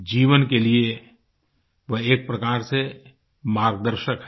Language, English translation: Hindi, In a way, it is a guide for life